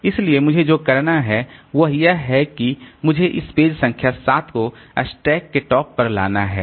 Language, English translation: Hindi, So, what I have to do is that I have to bring this page number 7 to the top of the stack